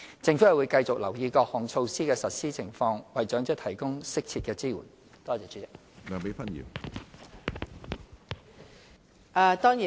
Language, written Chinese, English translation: Cantonese, 政府會繼續留意各項措施的實施情況，為長者提供適切的支援。, The Government will continue to monitor the implementation of various measures and provide appropriate support for elderly persons